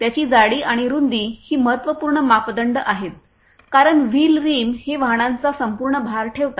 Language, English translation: Marathi, Its thickness and width are important parameters as wheel rim carry the entire load of the vehicle